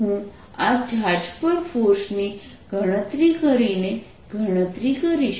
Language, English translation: Gujarati, i'll calculate by calculating the force on this charge